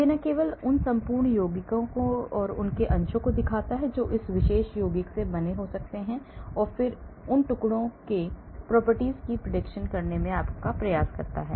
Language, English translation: Hindi, So, it not only looks at the whole compound it looks at the fragments that that could form from that particular compound and then tries to predict the properties of those fragments